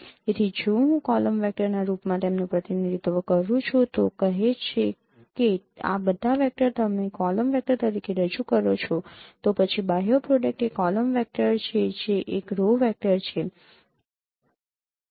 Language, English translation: Gujarati, So if I represent them in the form of a column vector, say all these vectors I can represent as a column vector, then outer product is the column vector into a row vector